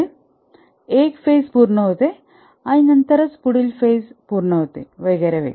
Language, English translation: Marathi, That is one phase has to complete then the next phase starts